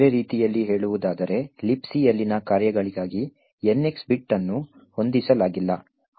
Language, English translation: Kannada, In other words, the NX bit is not set for the functions in LibC